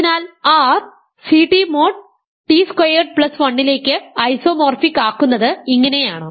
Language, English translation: Malayalam, R is C t modulo t squared plus 1 and what is this function